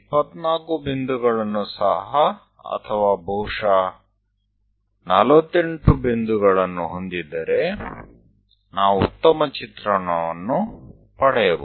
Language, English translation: Kannada, If we have 24 points or perhaps 48 points, we get better picture